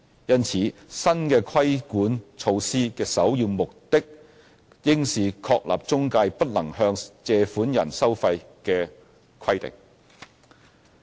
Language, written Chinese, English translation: Cantonese, 因此，新的規管措施的首要目的應是確立中介不能向借款人收費的規定。, In this connection the first and foremost objective of the new regulatory measures should be to establish the ban on fee charging on borrowers by intermediaries